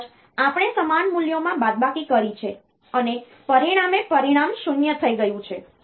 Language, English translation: Gujarati, Maybe we have subtracted to same values and as a result the result has become 0